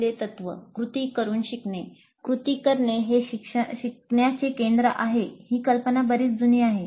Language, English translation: Marathi, The first principle, learning by doing, the idea that doing is central to learning, it's fairly old